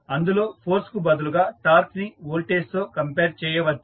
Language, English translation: Telugu, So, where you instead of force you compare torque with the voltage